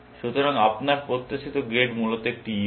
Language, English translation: Bengali, So, your expected grade would be an E, essentially